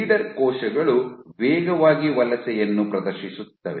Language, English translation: Kannada, So, the leader cells exhibited faster migration rate